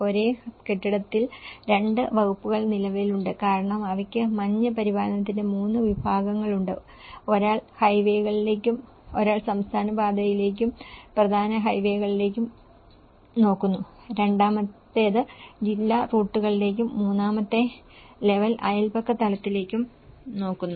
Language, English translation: Malayalam, In the same building, two departments exist because they have 3 categories of the snow maintenance; one looks at the highways, one looks at the state highways and the main highways, the second one looks the district routes, the third level looks the neighbourhood level